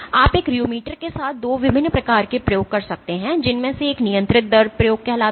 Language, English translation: Hindi, You can do 2 different types of experiments with a rheometer one of which is called a controlled rate experiment